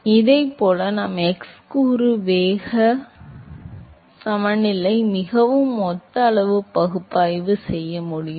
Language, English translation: Tamil, So, similarly we can do an order of magnitude analysis for the x component velocity momentum balance is very similar